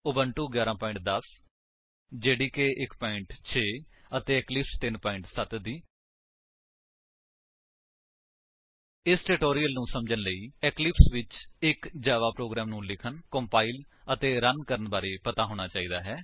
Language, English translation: Punjabi, Here we are using: Ubuntu version 11.10 JDK 1.6 and Eclipse 3.7.0 To follow this tutorial, you must know how to write, compile and run a simple Java program in Eclipse